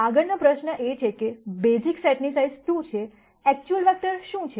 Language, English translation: Gujarati, The next question is the basis set is size 2, what are the actual vectors